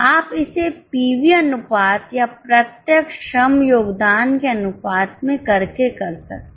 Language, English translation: Hindi, You can either do it by PV ratio or by contribution to direct labor ratio